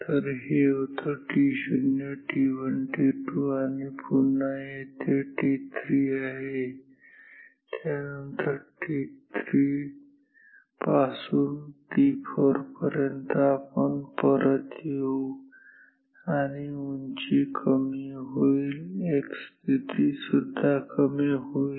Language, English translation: Marathi, So, this was t 0 t 1 t 2 again here t 3 is here and then from t 3 to t 4, we will go back height will decrease x position will decrease so, we will go like this